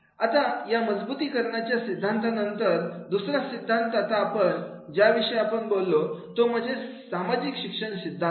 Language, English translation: Marathi, Now after there is these reinforcement theory, the another theory now we will talk about social learning theory